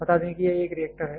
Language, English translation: Hindi, Let us say this is one reactor